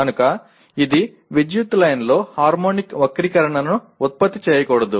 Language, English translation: Telugu, So it should not produce harmonic distortion on the power line